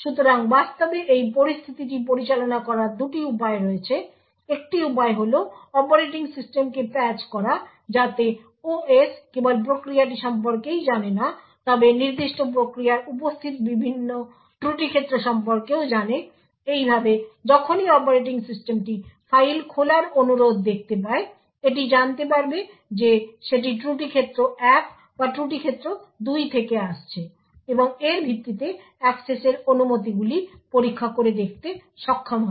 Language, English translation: Bengali, So there are two ways to actually handle this situation, so one way is to patch the operating system so that it the OS not only knows about the process but also knows about the various fault domains present in the specific process thus whenever the operating system sees a request for opening a file it would know whether it is coming from fault domain 1 or fault domain two and be able to check access permissions based on this